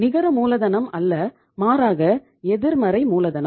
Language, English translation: Tamil, It is not net working capital, it is negative working capital